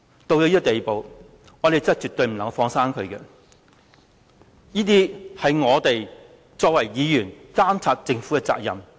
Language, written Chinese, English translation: Cantonese, 到了這個地步，我們絕對不能夠"放生"他，因為這是我們作為議員監察政府的責任。, Coming to this stage we will surely not let him go because Members are duty - bound to monitor the Government